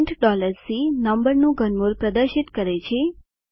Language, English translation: Gujarati, print $C prints cube root of a number